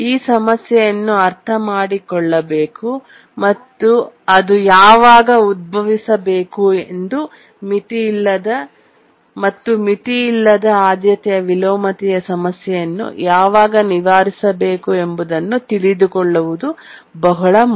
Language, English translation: Kannada, Must understand what this problem is, when does it arise and how to overcome the problem of unbounded priority inversion